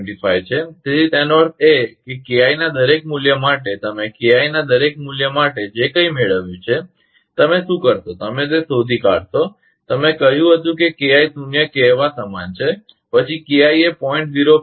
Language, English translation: Gujarati, 25, so that means, for each value of KI, whatever you have got for each value of KI, what you will do that you find out that which will the for, you said KI is equal to say zero, then KI is equal to say 0